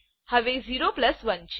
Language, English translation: Gujarati, Now 0 plus 1